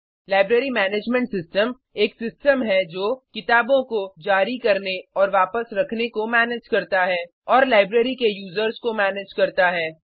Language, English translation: Hindi, A library management system is a system which manages the issuing and returning of books and manages the users of a library